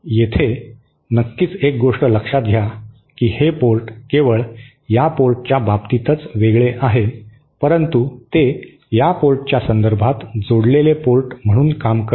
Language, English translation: Marathi, Here of course note one thing that this port is isolated with respect to this port only, it however acts as the coupled port with respect to this port